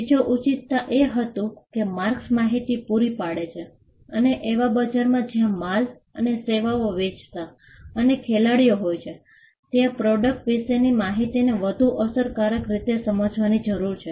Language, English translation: Gujarati, The second justification was that, marks provided information and in a market where, there are multiple players selling goods and services, there is a need for us to understand information about the product more efficiently